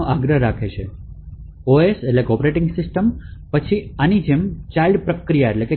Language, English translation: Gujarati, The OS would then create a child process like this